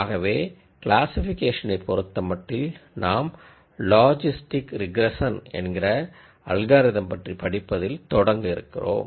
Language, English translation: Tamil, So, as far as classification is concerned we are going to start with an algorithm called logistic regression